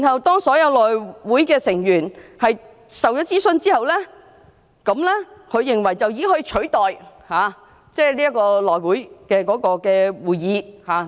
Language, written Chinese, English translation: Cantonese, 當所有內會成員都獲諮詢，他認為這已可取代召開內會會議的需要。, His view was that with all members of the House Committee consulted the need to call a meeting at the House Committee can be dispensed with